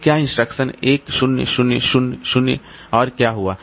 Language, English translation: Hindi, So, over 10,000 instructions, what has happened